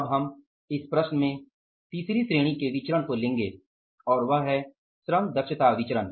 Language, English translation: Hindi, Now we will go for the third category of the variances in this problem and that is the labor efficiency variance